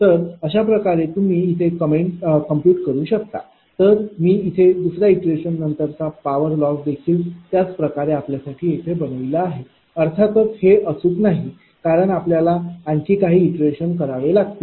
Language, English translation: Marathi, So, this way you can compute, same way I have made it here for you, that power loss after second iteration, of course this is not exact, because we have to move few for few iterations another 1 or 2